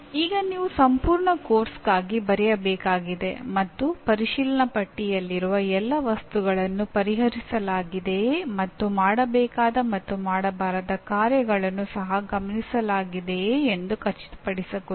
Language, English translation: Kannada, Now you have to write for a complete course making sure that all the items in the checklist are addressed to and do’s and don’ts are also observed